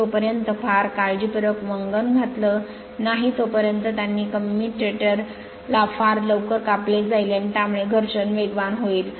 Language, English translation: Marathi, Unless very carefully lubricated they cut the commutator very quickly and in case, the wear is rapid right